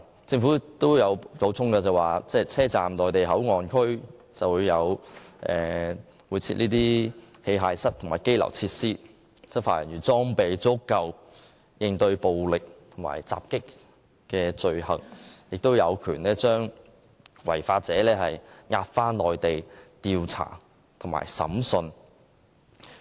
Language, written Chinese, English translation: Cantonese, 政府亦補充，車站的內地口岸區會設有器械室及羈留設施，讓執法人員有足夠裝備應對暴力及襲擊罪行，並有權將違法者押回內地進行調查及審訊。, The Government has added that the Mainland Port Area in the West Kowloon Station will be fitted with equipment rooms and detention facilities so that Mainland law enforcement personnel can be adequately equipped to counter crimes of violence and assault and can have the power to take offenders to the Mainland for investigation and trial